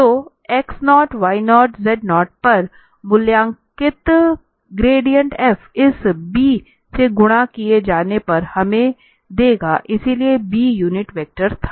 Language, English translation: Hindi, So, the gradient f evaluated at x naught y naught z naught multiplied by this b will give us so b was the unit vector